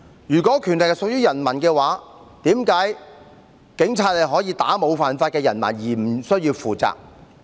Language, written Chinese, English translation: Cantonese, 如果權力屬於人民，為何警察可以打沒有犯法的人民而無須負責？, If power belongs to the people why are policemen who beat up innocent people not held liable?